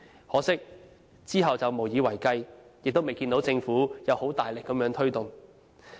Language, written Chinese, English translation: Cantonese, 可惜，之後卻無以為繼，亦未看到政府有大力推動。, Regrettably this experience could not be repeated and we also fail to see the Government promoting bazaars actively